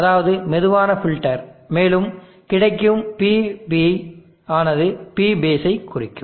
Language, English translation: Tamil, I will call that one is slow filter and you will get PB to represent P base